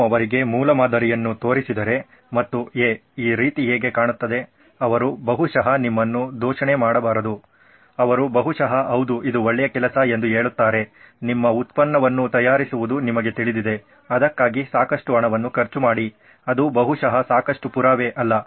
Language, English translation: Kannada, If you just show them the prototype and say hey hey how does this look, they are probably not to offend you, they probably say yeah this is a good job go on, you know make your product, spend a lot of money on that, that is probably not proof enough